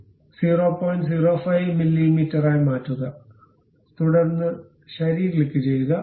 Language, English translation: Malayalam, 05 mm, then click ok